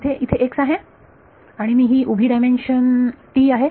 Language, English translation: Marathi, There is there is x and t is the vertical dimension